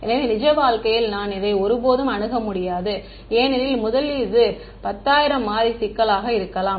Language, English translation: Tamil, So, in real life I will never have access to this because first of all it will be a may be a 10000 variable problem